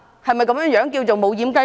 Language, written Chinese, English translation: Cantonese, 是否這樣便是"無掩雞籠"？, Is that what is meant by a doorless chicken coop?